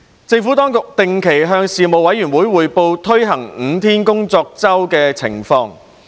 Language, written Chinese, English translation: Cantonese, 政府當局定期向事務委員會匯報推行5天工作周的情況。, The Administration regularly briefed the Panel on the implementation of five - day week FDW in the Government